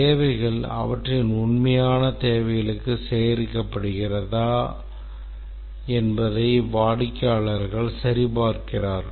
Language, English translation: Tamil, The customers check whether the requirements confirm to their actual requirements